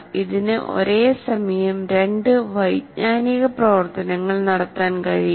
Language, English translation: Malayalam, It cannot perform two cognitive activities at the same time